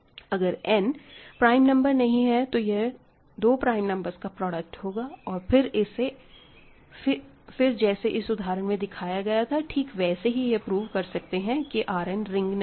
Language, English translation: Hindi, So, exactly the same idea if n is not a prime number, it is a product of 2 numbers and then, you can use what I have done here for 1 by 2 to show that R n is not a ring